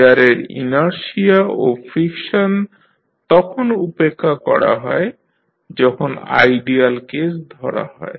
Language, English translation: Bengali, The inertia and friction of the gears are neglected when you consider the ideal case